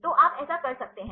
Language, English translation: Hindi, So, you can do that